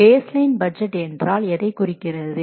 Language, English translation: Tamil, So, what is a baseline budget